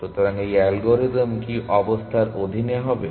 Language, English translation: Bengali, So, under what conditions will this algorithm